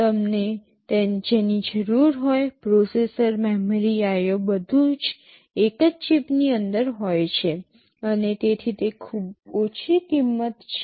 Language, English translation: Gujarati, Whatever you need, processor, memory, IO everything is inside a single chip and therefore, it is very low cost